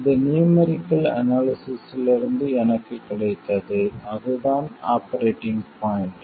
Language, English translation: Tamil, So, this I got from numerical analysis and that is the operating point